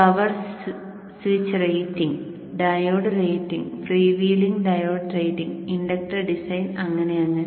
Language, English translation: Malayalam, Power switch, power switch ratings, diode ratings, prevailing diode rating, inductor design, so on and so forth